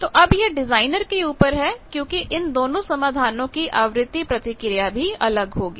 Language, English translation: Hindi, Now, it is up to the designer because frequency response of these 2 solutions will be different